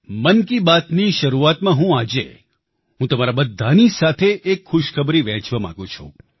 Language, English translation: Gujarati, I want to share a good news with you all at the beginning of Mann ki Baat today